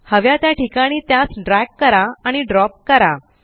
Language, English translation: Marathi, Now drag and drop it in the desired location